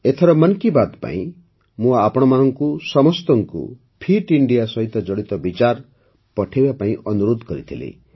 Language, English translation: Odia, For this 'Mann Ki Baat', I had requested all of you to send inputs related to Fit India